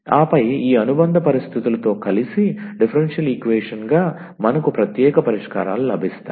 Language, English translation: Telugu, And then as differential equation together with these supplementary conditions we will get particular solutions